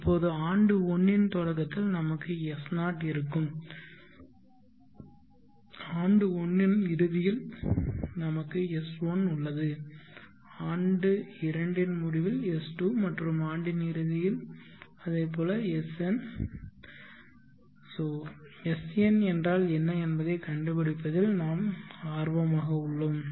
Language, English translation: Tamil, Now at the beginning of year 1 we will have s0, at the end of year 1 we have s1, at the end year 2, s2 and the end of year n it is sn, here we are interested in finding what is sn